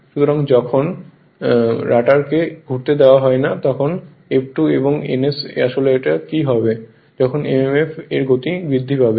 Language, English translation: Bengali, So, when rotor is you are not allowing the rotor to rotate so it actually this F2 actually this ns actually what will happen that is the speed of this mmf right